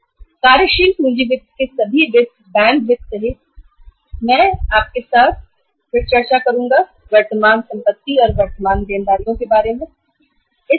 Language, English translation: Hindi, All the sources of working capital finance including bank finance I will discuss with you sometime later before we finish the discussion on the current assets and the current liabilities